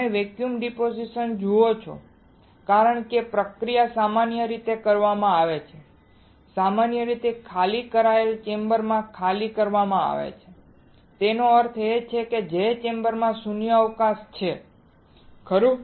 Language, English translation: Gujarati, You see vacuum deposition because the process is usually done is usually done in an evacuated chamber in an evacuated; that means, the chamber in which there is a vacuum right